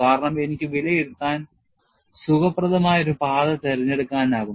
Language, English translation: Malayalam, Because, I can choose the path, which is comfortable for me to evaluate